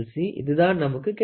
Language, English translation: Tamil, So, we got this